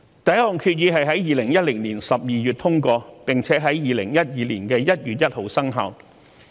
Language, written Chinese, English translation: Cantonese, 第一項決議在2010年12月通過，並且在2012年1月1日生效。, The first resolution was adopted in December 2010 and came into force on 1 January 2012